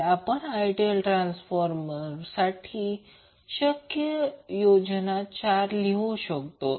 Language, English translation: Marathi, So we can have four possible combinations of circuits for the ideal transformer